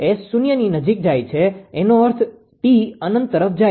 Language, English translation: Gujarati, S tends to 0 means t tends to infinity